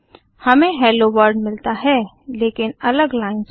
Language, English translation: Hindi, We get the output Hello World, but on separate lines